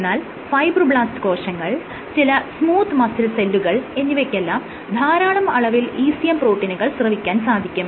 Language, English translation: Malayalam, So, cells like fibroblasts are the ones or smooth muscle cells they secrete lots of ECM proteins